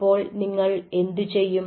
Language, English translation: Malayalam, so then, what you do